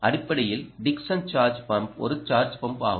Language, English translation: Tamil, basically, dickson charge and pump, charge and pump is charge pump